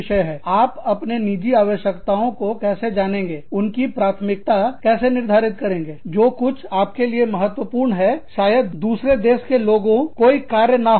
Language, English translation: Hindi, How, you know, your personal needs, how you prioritize, whatever is important for you, may not be acceptable to people, in another country